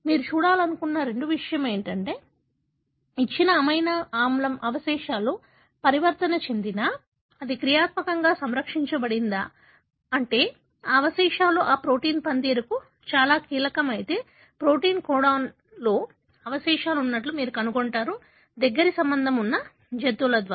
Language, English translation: Telugu, The second thing you want to look at is, whether a given amino acid residue that is mutated, is it functionally conserved, meaning if that residue is very very critical for that protein function, then you would find that residue to be present inthe proteins coded by the closely related animals